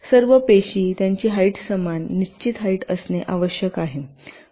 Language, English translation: Marathi, each cells must have the same height all this cells